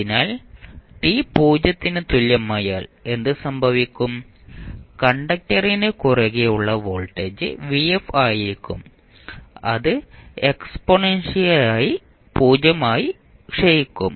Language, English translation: Malayalam, So, now what will happen that at time t is equal to 0 the voltage across conductor would be vf and then it would exponentially decay to 0